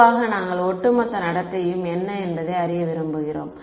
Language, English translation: Tamil, Typically you are we want to know what is the overall behavior